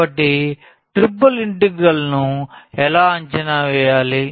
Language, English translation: Telugu, So, how to evaluate the triple integral